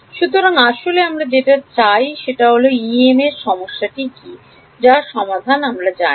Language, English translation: Bengali, So, basically we want up what we what is EM problem whose solution I know